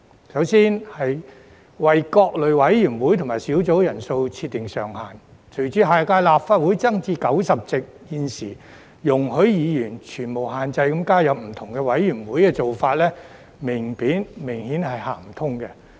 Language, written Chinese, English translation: Cantonese, 首先，有關為各類委員會及小組委員會人數設定上限，隨着下屆立法會增至90席，現時容許議員全無限制地加入不同委員會的做法，明顯是行不通的。, First of all in respect of capping the membership size of various committees and subcommittees with the increase in the number of seats in the next term of the Legislative Council to 90 the current practice of allowing Members to join different committees without any limit is obviously no longer feasible